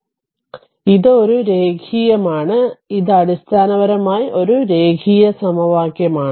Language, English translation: Malayalam, So, it is a linear it is it is a linear equation basically right